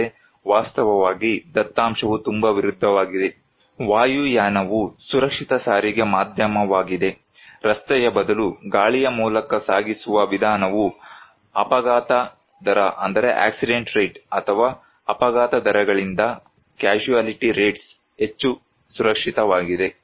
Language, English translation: Kannada, But actually, data is very opposite; aviation is one of the safest medium of transport; mode of transport so, by air is much safer from the point of accident rate or casualty rates than by road